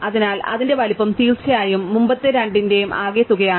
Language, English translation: Malayalam, So, its size is exactly the sum of the previous two of course